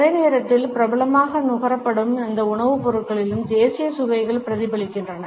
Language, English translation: Tamil, At the same time national tastes are also reflected in those food items which are popularly consumed